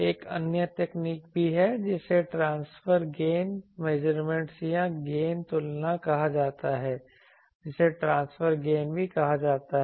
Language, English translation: Hindi, There is also another technique which is called transfer gain measurement or gain comparison also that is called transfer gain